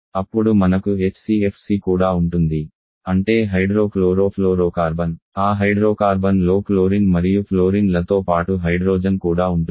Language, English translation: Telugu, Then we can also have HCFC that is hydro chlorofluorocarbon where we have hydrogen also along with chlorine and fluorine in that hydrocarbon